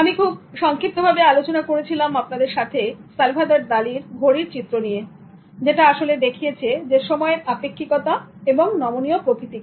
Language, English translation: Bengali, In this context, I briefly discussed with you about Salvador Daly's clocks which actually capture the relative and flexible nature of time